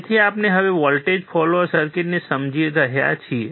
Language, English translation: Gujarati, So, we are now understanding the voltage follower circuit